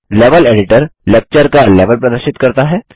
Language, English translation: Hindi, The Level Editor displays the Lecture Level